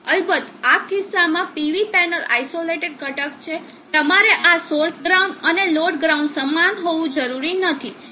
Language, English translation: Gujarati, Of course in this case the PB panel being are isolated component you do not need to how this source ground and the load ground same